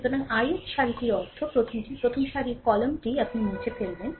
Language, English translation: Bengali, So, ith row means first one first row column you eliminate